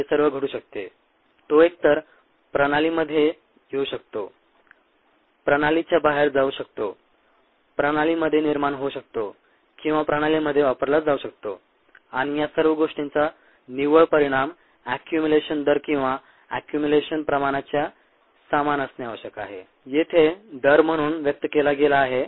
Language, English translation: Marathi, you can either comment to the system, go out of the system, get generated in the system or get consumed in the system, and the net result of all these things must equal the accumulated rate or accumulated amount